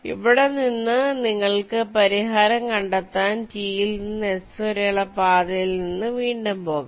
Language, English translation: Malayalam, so from here you can retrace the path from t to s to find out the solution